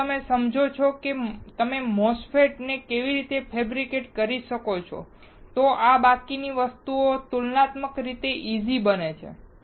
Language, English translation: Gujarati, If you understand, how you can fabricate the MOSFETs, the rest of these things becomes comparatively easy